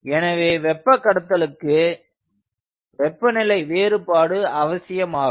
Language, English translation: Tamil, so for a heat exchanger there is a terminal temperature difference